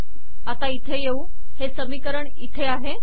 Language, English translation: Marathi, So lets come here – so the equation is here